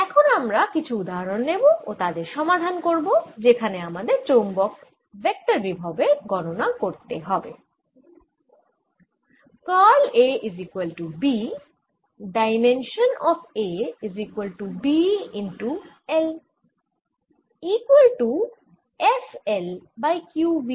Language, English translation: Bengali, let us now take examples and solve some certain problems where we calculate the magnetic electro potential